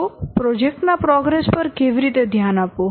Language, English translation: Gujarati, So, how to work to focus on the progress of the project